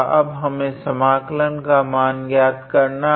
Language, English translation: Hindi, Now we have to evaluate this integral